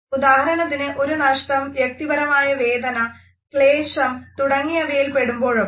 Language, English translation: Malayalam, For example, when somebody undergoes some type of a loss, personal grief, suffering etcetera